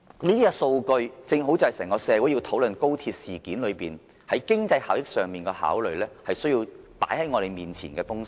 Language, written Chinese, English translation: Cantonese, 這些數據正正關乎整個社會在討論高鐵事件期間，在經濟效益上所作的考慮，也是需要放在我們眼前的東西。, These statistics relate exactly to the discussion in society about the economic efficiency of the XRL so we should have access to the relevant information